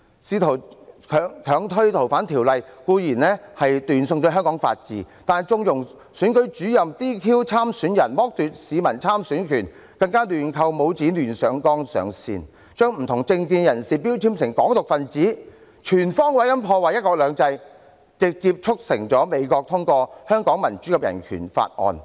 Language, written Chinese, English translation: Cantonese, 試圖強推《逃犯條例》的修訂固然是斷送香港法治，但縱容選舉主任 "DQ" 參選人，剝奪市民參選的權利，更亂扣帽子、胡亂上綱上線，將不同政見的人標籤為"港獨"分子，全方位地破壞"一國兩制"，直接地促成美國通過《香港人權與民主法案》。, Her attempt to push through the amendments to the Fugitive Offenders Ordinance has definitely undermined the rule of law in Hong Kong . On top of that she has condoned the Returning Officer to disqualify candidates and deprive citizens of their right to stand in elections unjustifiably labelling people with different political views as advocates of Hong Kong independence . Her full - scale sabotage of one country two systems has directly led to the passage of the Hong Kong Human Rights and Democracy Act by the United States